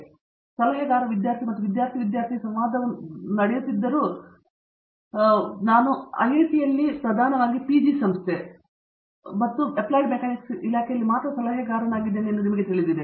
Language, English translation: Kannada, So, I will say one last thing as whereas the advisor student and student student interaction go, you know we are now at IIT a predominantly PG institution and in the Department of Applied Mechanics is only a PG department